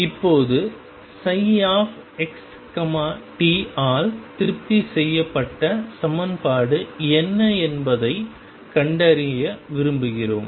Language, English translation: Tamil, And we want to now discover what is the equation satisfied by psi x t